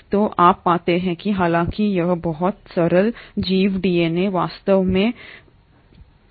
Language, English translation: Hindi, So you find that though it is a very simple organism the DNA is not really as complex